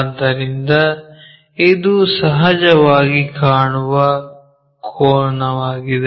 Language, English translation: Kannada, So, this is the apparent angle